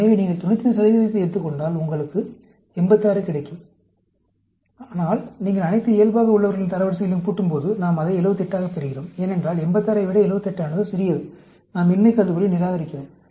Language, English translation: Tamil, So, if you take the 95 percent, you get 86; but, when you add up all the control ranks, we get it as 78; because, 78 is lower than 86, we reject the null hypothesis